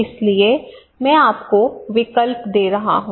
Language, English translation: Hindi, So I am giving you options okay